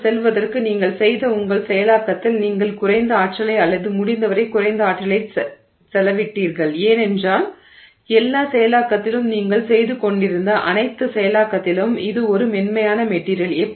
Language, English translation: Tamil, And in your processing that you have done to get there, you have spent less energy or as little energy as possible because in all the processing, during all that processing that you were doing, it was a soft material